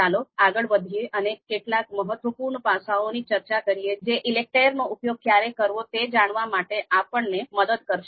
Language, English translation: Gujarati, So let us move forward and discuss few important aspects you know when to use ELECTRE